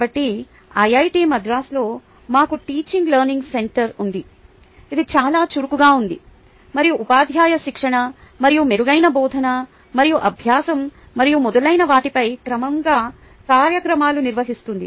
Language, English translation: Telugu, i happen to be also a member of the teaching learning center executive team, so we have a teaching learning center at iit madras, which ah is very active and conducts regular programs on teacher training and better teaching and learning and so on